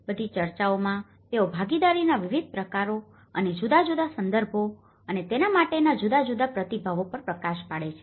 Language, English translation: Gujarati, In all the discussions, they highlights on different modes of participation and different context and different responses to it